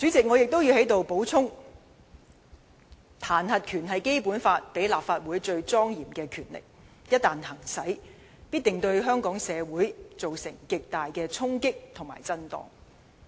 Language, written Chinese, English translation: Cantonese, 我亦要在此補充，彈劾權是《基本法》賦予立法會最莊嚴的權力，一旦行使該權力，必定對香港社會造成極大的衝擊和震盪。, Once again I must say that the impeachment power is the most solemn power conferred to the Legislative Council by the Basic Law . Such a power if exercised will definitely create serious impact and shock in the society of Hong Kong